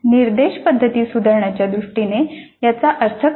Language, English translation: Marathi, What does it mean in terms of improving the instruction methods